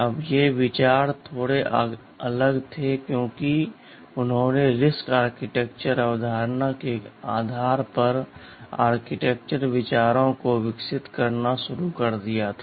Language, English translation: Hindi, Now these ideas were little different because they started to develop the architectural ideas based on the reduced instruction set concept, RISC architecture concept ok